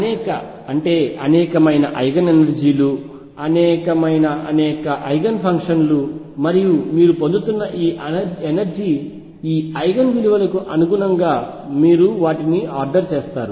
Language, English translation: Telugu, Many, many Eigen energies, many, many Eigen functions and then you order them according to the energy Eigen values you are getting